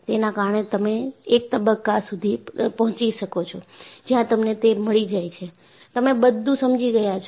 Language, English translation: Gujarati, So, you reach a stage, where you find that, you have understood everything